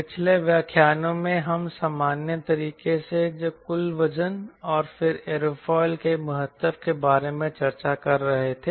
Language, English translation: Hindi, the last lecture we were discussing about gross weight and then importance of aerofoil in a generic manner